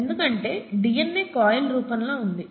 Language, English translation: Telugu, That is because the DNA is in a coiled form, okay